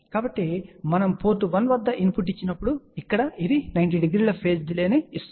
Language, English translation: Telugu, So, when we give input at port 1 so, this one here sees a 90 degree phase delay